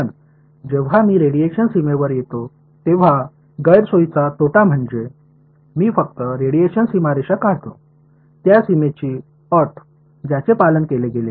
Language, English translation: Marathi, But on the disadvantage when I come to the radiation boundary condition the disadvantage is, that this boundary condition which I just derive radiation boundary condition it was obeyed by whom